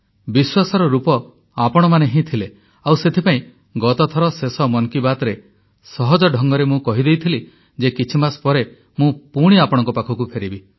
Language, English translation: Odia, And that is why in the last episode of 'Mann Ki Baat', then, I effortlessly said that I would be back after a few months